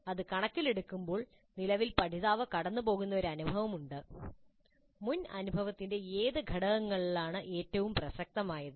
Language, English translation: Malayalam, Given that presently there is an experience through which the learner is going, which elements of the previous experience are most relevant